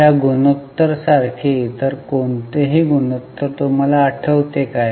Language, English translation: Marathi, Do you remember any other ratio which is similar to this ratio